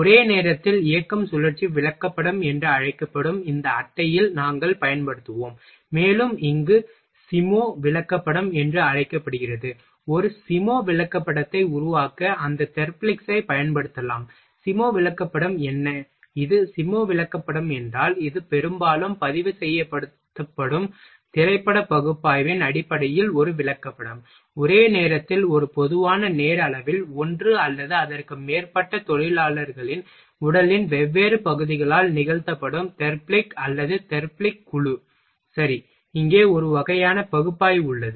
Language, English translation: Tamil, We will use in this chat that is called simultaneous motion cycle chart, and is called SIMO chart here, we will use those Therblig’s to make a SIMO chart what is the SIMO chart it is a chart often based on film analysis used to record, simultaneously on a common time scale the Therblig or group of Therblig’s performed by different parts of the body of one or more workers ok, here is a kind of film analysis